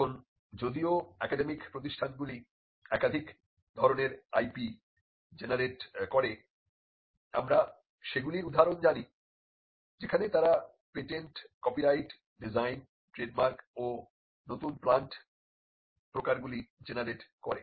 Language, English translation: Bengali, Now though academic institutions generate more than one type of IP, we know instances where they generate patents, copyright, designs, trademark and new plant varieties